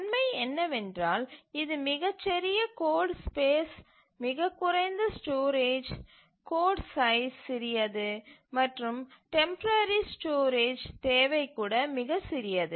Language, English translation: Tamil, So, the advantage of these are these take very small code space, very little storage, the code size is small and even the temporary storage requirement is very small